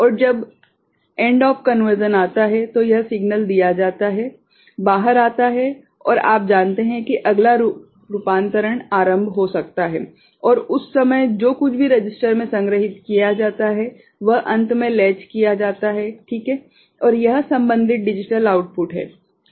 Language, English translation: Hindi, And when the end of conversion is reached, this signal is made out, comes out and you know next conversion can get initiated and at that time whatever is stored in the register, finally latched, right and that is the corresponding digital output ok